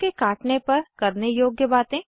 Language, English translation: Hindi, Dos in case of a snake bite